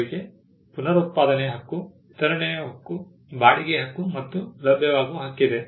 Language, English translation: Kannada, They have the right of reproduction, right of distribution, right of rental and right of making available